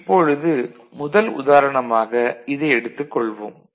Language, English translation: Tamil, I take this example say the first one over here all right